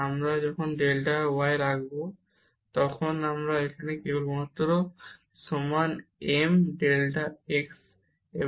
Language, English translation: Bengali, And now if we take this path delta y is equal to m delta x